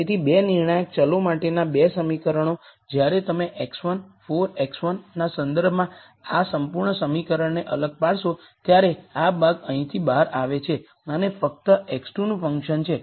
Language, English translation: Gujarati, So, the 2 equations for the 2 decision variables so, when you differentiate this whole expression with respect to x 1 4 x 1 comes out of this term right here and this is only a function of x 2